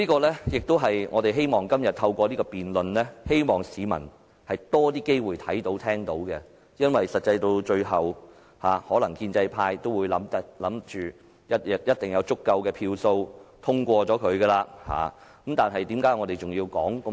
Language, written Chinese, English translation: Cantonese, 這亦是我們希望能透過今天的辯論，讓市民有多些機會看到和聽到的，因為最終建制派可能認為一定會有足夠票數通過議案，但為何我們仍要說這麼多？, After all this is the message we wish to convey to the public through todays debate . The pro - establishment camp may consider that they will certainly secure enough votes to pass the motion in the end . So what is the point for us to give all these speeches then?